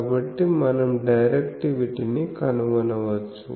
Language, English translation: Telugu, So, we can find directivity